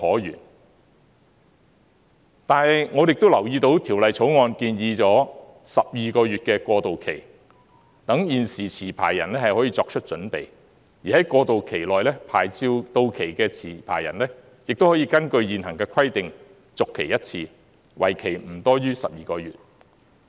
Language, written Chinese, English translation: Cantonese, 然而，我亦都留意到，《條例草案》建議12個月的過渡期，讓現時持牌人可以作出準備，而在過渡期內，牌照到期的持牌人，亦可以根據現行的規定，續期一次，為期不多於12個月。, Nevertheless I also note that a 12 - month transitional period was proposed under the Bill which allows the licensees to make the preparation . During the transitional period if their licences expire within the 12 - month transitional period licensees may renew their licences once for a period not exceeding 12 months based on the existing requirements . On the other hand in 2014 a public consultation was conducted on the amendment to the Ordinance